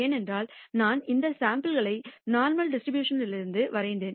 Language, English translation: Tamil, And that is because I drew these samples from the normal distribution